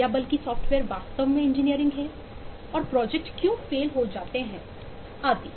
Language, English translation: Hindi, or rather, is software really engineering and why projects fail and so on